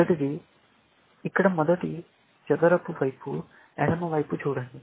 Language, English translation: Telugu, The first, look at the first square here, on the left hand side